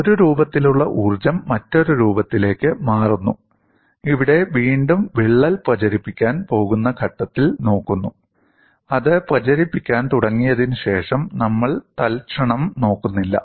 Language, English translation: Malayalam, One form of energy turns into another form, and here again, we look at the point when the crack is about to propagate; we are not looking at the instance after it has started propagating